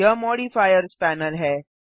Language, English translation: Hindi, This is the Modifiers panel